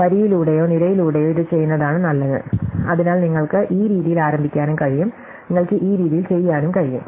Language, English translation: Malayalam, So, it is better to do it either row by row or column, so you can also start like this way, you could also do in this way